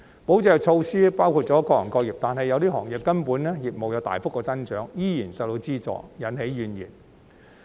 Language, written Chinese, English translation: Cantonese, 保就業措施包含了各行各業，但有些行業的業務其實有大幅增長，依然獲資助，引起怨言。, The measures to safeguard jobs cover all trades and industries yet certain industries which have actually experienced significant growth in business are still granted the subsidies and this has led to complaints